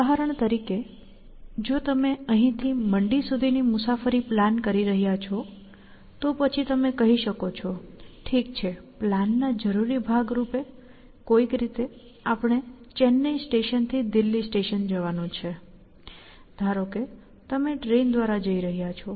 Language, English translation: Gujarati, So, for example, if you are planning a trip from here to Mandy, then you might say, okay, our necessary part of the plan is to somehow get from let us say Chennai station to Delhi station; let us say you are going by train